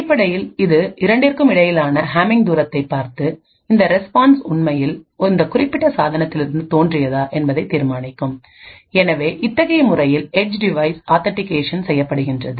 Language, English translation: Tamil, Essentially it would look at the Hamming distance between the two and determine whether this response has actually originated from this specific device so in this way the edge device will be authenticated